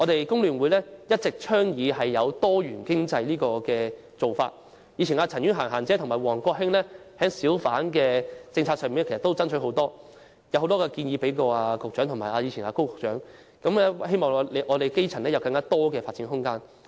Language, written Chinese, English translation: Cantonese, 工聯會一直倡議多元經濟，前議員陳婉嫻即"嫻姐"和王國興就小販政策曾經多番爭取，向局長及前任高局長提出很多建議，為基層爭取更多發展空間。, FTU has been advocating a diversified economy . A former Legislative Council Member Miss CHAN Yuen - han had joined WONG Kwok - hing in conducting repeated campaigns and putting forward many proposals to the incumbent Secretary and her predecessor Secretary Dr KO to fight for more room of development for the grass roots